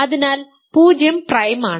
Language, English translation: Malayalam, So, 0 is prime